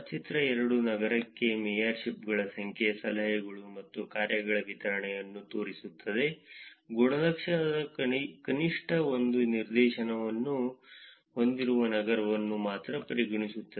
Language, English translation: Kannada, Figure 2 shows the distribution of number of mayorships, tips and dones per city, considering only cities with at least one instance of the attribute